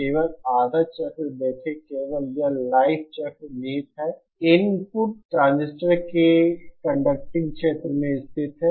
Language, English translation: Hindi, See only the half cycle, only doing this life cycle it lays theÉ The input lies in the conducting region of the transistor